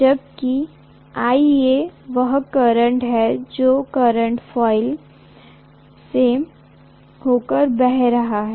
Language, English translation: Hindi, Whereas IA is the current that is flowing through the current coil